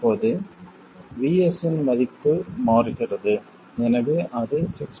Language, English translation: Tamil, Then if VS changes to 6